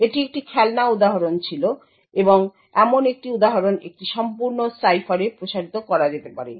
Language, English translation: Bengali, So this was a toy example and such an example could be extended to a complete cipher